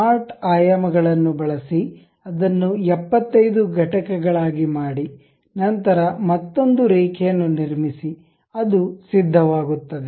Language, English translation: Kannada, Use smart dimensions, make it 75 units, then again construct a line, goes there